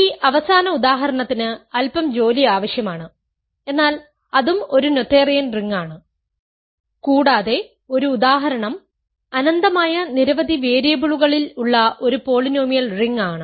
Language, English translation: Malayalam, This last example requires a little bit work, but that also is a that also is a noetherian ring and a non example is a polynomial ring in infinitely many variables